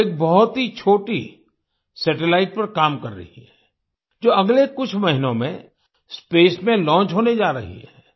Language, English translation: Hindi, She is working on a very small satellite, which is going to be launched in space in the next few months